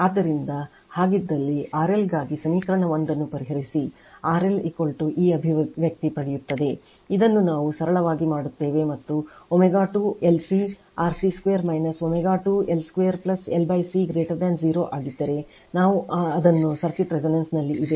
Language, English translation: Kannada, So, if you so, solve equation one for RL you will get RL is equal to this expression, this we do it in simple and that your what we call if omega square LC RC square minus omega square L square plus L upon C if it is greater than 0 then circuit is at resonance right